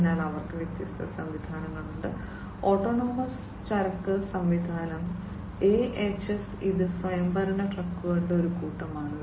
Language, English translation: Malayalam, So, they have different systems the autonomous haulage system AHS, which is a fleet of autonomous trucks